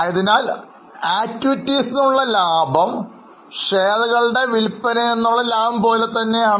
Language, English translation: Malayalam, So, we deduct profit from operation, something like profit from sale of shares